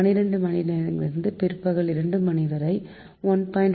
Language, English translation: Tamil, then twelve noon to two pm, one point